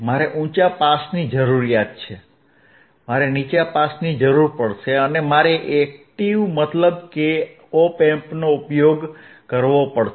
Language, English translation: Gujarati, I will need a high pass, I will need a low pass, and I have to use an active, means, an op amp